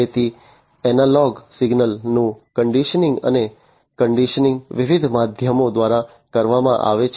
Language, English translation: Gujarati, So, conditioning of the analog signals and this conditioning is done through different means